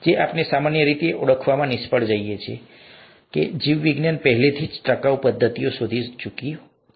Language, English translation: Gujarati, What we normally fail to recognize, is that biology has already found sustainable methods